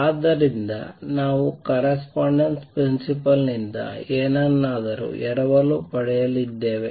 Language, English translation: Kannada, So, we are going to borrow something from correspondence principle